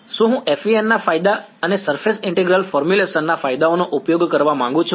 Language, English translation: Gujarati, Is I want to make use of the advantages of FEM and the advantages of surface integral formulation